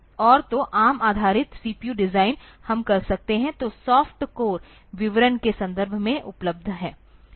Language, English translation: Hindi, And so, the ARM based CPU designs we can, so the soft cores are available in terms of the description